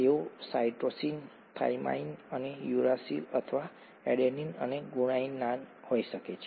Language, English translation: Gujarati, They are, they could be cytosine, thymine and uracil or adenine and guanine, okay